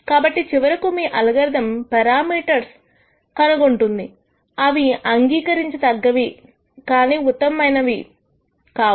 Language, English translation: Telugu, So, ultimately your algorithm might nd parameters which while may be acceptable are not the best